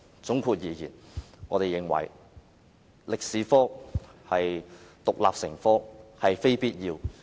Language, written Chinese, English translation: Cantonese, 總括而言，中史科獨立成科並非必要。, In sum it is not necessary for Chinese history to be taught as an independent subject